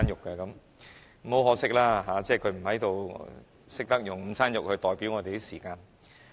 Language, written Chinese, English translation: Cantonese, 很可惜，他不在，只有他懂得以午餐肉來代表我們的時間。, What a pity he is not here! . Only he knows how to use luncheon meat to represent our time